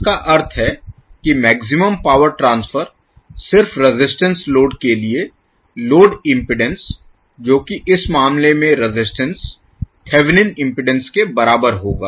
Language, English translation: Hindi, Tthat means that the maximum power transfer to a purely resistive load the load impedance that is the resistance in this case will be equal to magnitude of the Thevenin impedance